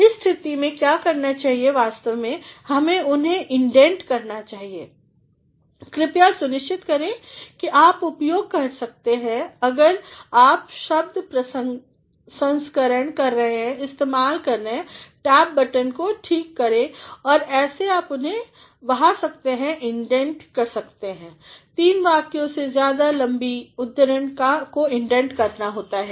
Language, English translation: Hindi, In that condition what wants to do is one should actually indent them please, say to it that you can make use of if you are word processing make use of tab button fine and that is how you can flush them or indent them, quote over three lines have to be indented